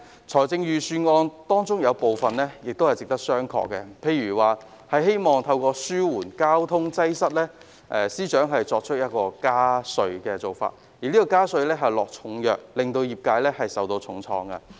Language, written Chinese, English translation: Cantonese, 財政預算案中有部分地方值得商榷，譬如司長希望透過加稅紓緩交通擠塞，而這項加稅措施是重藥，會令業界受到重創。, There are some questionable ideas in the Budget . For example FS hopes to relieve traffic congestion by increasing taxes but this measure is a heavy dose of medicine that will deal a heavy blow to the relevant sectors